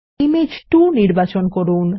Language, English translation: Bengali, Select Image 2